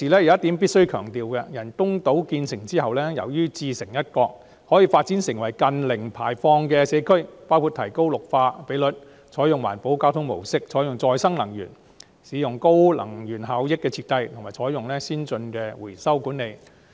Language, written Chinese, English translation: Cantonese, 我必須強調的是，由於人工島自成一角，可以發展成近零碳排放的社區，包括提高綠化比率、採用環保交通模式、採用再生能源、使用高能源效益的設計，以及採用先進的回收管理措施。, I must stress that since the artificial island will be self - sufficient it can be developed into a community with almost zero carbon emission by increasing the greening ratio and adopting green transport modes renewable sources of energy energy - efficient designs as well as advanced recycling initiatives